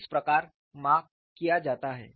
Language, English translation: Hindi, This is how the measurements are done